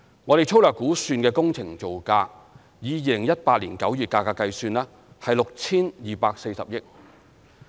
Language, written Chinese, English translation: Cantonese, 我們粗略估算的工程造價，以2018年9月價格計算，為 6,240 億元。, We have crudely estimated that the construction cost is 624 billion in September 2018 prices